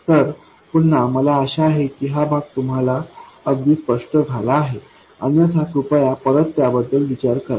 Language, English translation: Marathi, So, again, I hope this part is very clear, otherwise, please go back and think about it